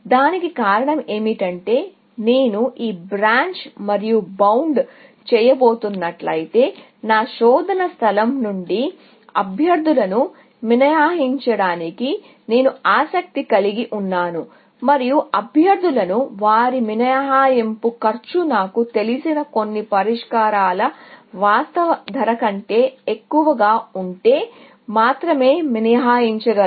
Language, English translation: Telugu, The reason for that is that, if I am going to do this Branch and Bound, I am interested in excluding candidates from my search space, and I can only exclude candidates, if their estimated cost is higher than my actual cost of some known solutions